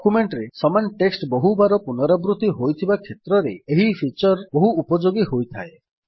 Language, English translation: Odia, This feature is very helpful when the same text is repeated several times in a document